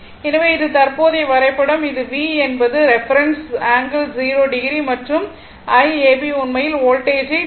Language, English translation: Tamil, So, this is my present diagram this is V is the reference one right angle 0 degree and I ab actually leading voltage 10